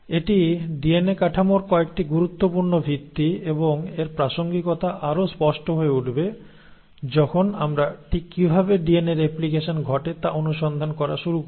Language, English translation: Bengali, Now this is some of the important basics about DNA structure and the relevance of this will become more apparent when we start looking at exactly how DNA replication happens